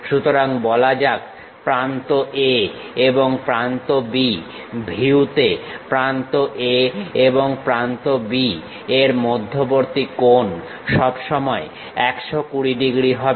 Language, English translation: Bengali, So, let us call edge A, edge B; the angle between edge A and edge B in the view always be 120 degrees